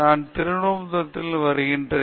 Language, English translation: Tamil, I come from Trivandrum